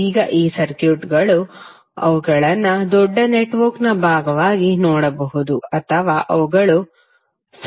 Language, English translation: Kannada, Now these circuits are, you can see them either part of very large network or they can be the circuit themselves